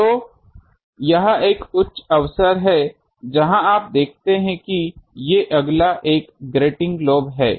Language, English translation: Hindi, So, there is a high chance, you see that these next one this is the grating lobe